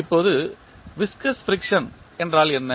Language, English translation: Tamil, Now, what is viscous friction